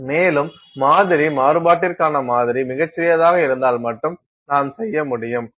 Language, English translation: Tamil, And, that you can do only if your sample to sample variation is very tiny